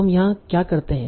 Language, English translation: Hindi, So what do we do here